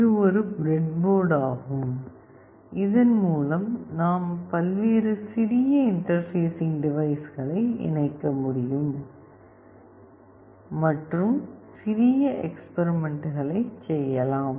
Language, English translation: Tamil, This is a breadboard through which we can connect various small interfacing devices and we can do small experiments